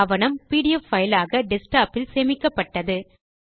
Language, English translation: Tamil, The document has now been saved as a pdf file on the desktop